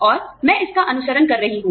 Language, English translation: Hindi, And, I have been following it